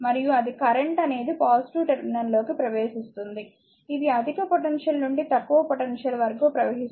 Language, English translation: Telugu, And it is your current is flow entering into the positive terminal, right that is flowing from higher potential to lower potential